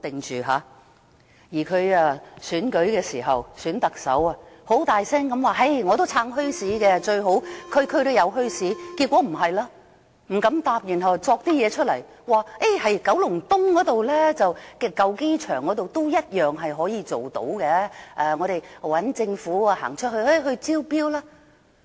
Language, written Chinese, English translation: Cantonese, 她在選舉特首時，大聲地說她"撐"墟市，最好區區也有墟市，結果卻不是這樣，她不敢回答，所以杜撰一些東西出來，說在九龍東舊機場也同樣可以做到，由政府招標。, When she was running in the Chief Executive Election she vowed that she supported the establishment of bazaars in all districts even . But her words have not come true . She does not dare to answer questions on this so she has just made up some excuses and said that this can be done at the old airport site in Kowloon East through government tenders